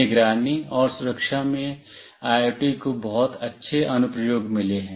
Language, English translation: Hindi, In surveillance and security, IoT has got very good applications